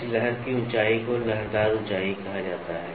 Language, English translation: Hindi, The height of this wave is called as waviness height